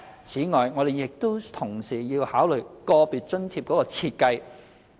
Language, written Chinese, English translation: Cantonese, 此外，我們亦須同時考慮個別津貼的設計。, Moreover we must also consider the design of individual allowances